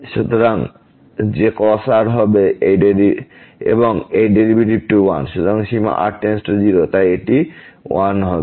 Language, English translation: Bengali, So, that will be cos and this derivative 1 and limit goes to 0, so this will be 1